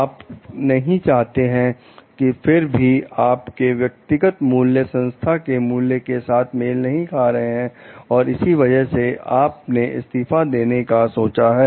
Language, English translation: Hindi, You could not like maybe your personal values were not in tune with the organizational values like that is why you thought of resigning